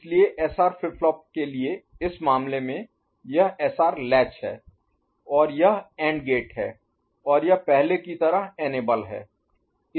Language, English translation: Hindi, So, in this case for SR flip flop, this is a SR latch right, and this is the AND gate and this was enable as before